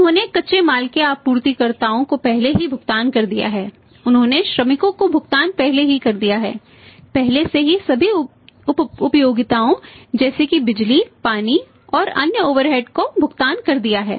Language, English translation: Hindi, He has already made the payment to suppliers of raw material, he has already made the payment to the workers has already made the payment to all these utilities, power, water and other overhead